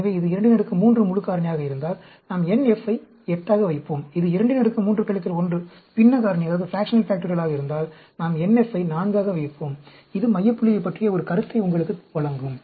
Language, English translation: Tamil, So, if it is a 2 power 3 full factorial, we will put n f as 8; if it is a 2 power 3 minus 1, fractional factorial, we will put n f as 4; that will give you an idea about the center point